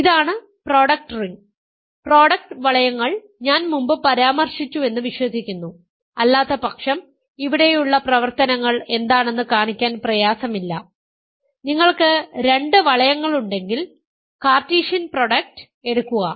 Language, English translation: Malayalam, I believe I mentioned product rings before, but otherwise it is not difficult to see what the operations are here, if you have two rings you take the Cartesian product